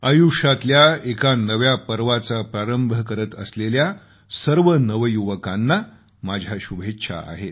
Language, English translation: Marathi, My best wishes to all the young people about to begin a new innings